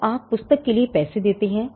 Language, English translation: Hindi, So, you pay money for the book